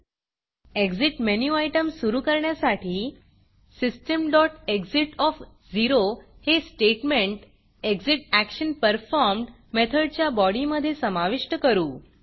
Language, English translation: Marathi, To make the Exit menu item work, Let us include the statement System.exit into the ExitActionPerformed() method body